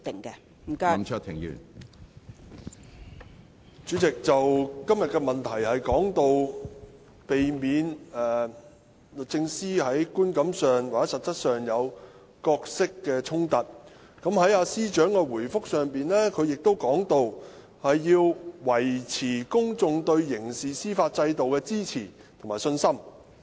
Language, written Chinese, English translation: Cantonese, 主席，今天的主體質詢關於如何避免律政司司長在觀感上或實際上有角色衝突，而司長亦在主體答覆中提及要維持公眾對刑事司法制度的支持和信心。, President the main question of today is about how the Secretary for Justice should avoid perceived or real role conflicts . The Secretary for Justice has also talked about the maintenance of public support and confidence in the criminal justice system in her main reply